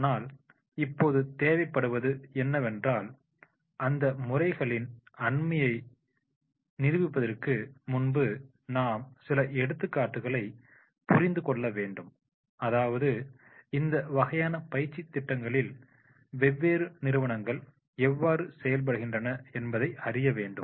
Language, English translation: Tamil, But now what is required is we have to also understand the examples before we actually demonstrate those methods that is the how different companies how they are exercising this type of the training programs